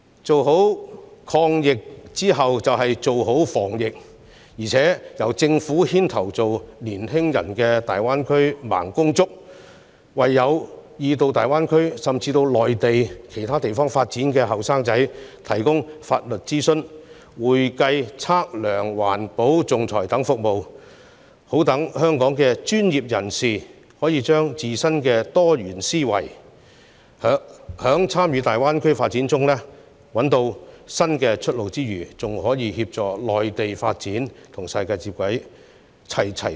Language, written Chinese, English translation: Cantonese, 成功抗疫後，便要做好防疫，並由政府牽頭成為年輕人的大灣區"盲公竹"，為有意到大灣區，甚至內地其他地方發展的年輕人提供法律諮詢、會計、測量、環保和仲裁等服務，好讓香港的專業人士可以將自身的多元思維，藉參與大灣區發展找到新出路外，更可以協助內地發展，與世界接軌，齊齊雙贏。, Besides the Government should take the lead to be our young peoples guide in the Greater Bay Area and provide legal consultation accounting surveying environmental protection and arbitration services to our young people who wish to seek career development in the Greater Bay Area or even other parts of the Mainland . By doing so local professionals can find new outlets for their diversified thinking through taking part in the development of the Greater Bay Area on the one hand and help with bringing the Mainlands development in alignment with the rest of the world . This will be a win - win situation for both sides